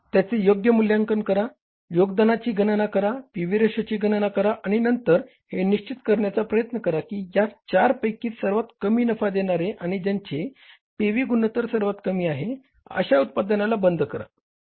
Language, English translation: Marathi, Evaluated properly, calculated contribution, calculated pb ratio, and then try to make sure that out of the four which one is having the least contribution towards the profitability and whose pb ratio ratio is the lowest